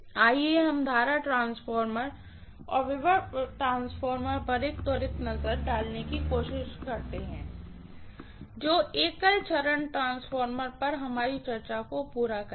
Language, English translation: Hindi, Let us try to just take a quick look at current transformer and potential transformer that will complete our discussion on single phase transformers, okay